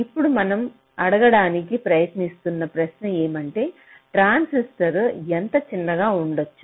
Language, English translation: Telugu, now the question that we are trying to ask is that: well, how small can transistors b